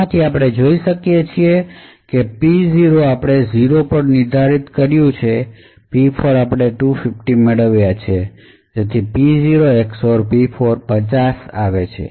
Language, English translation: Gujarati, So, from this what we can see is that P0 we have set to 0, P4 we have obtained 250, so P0 XOR P4 is equal to 50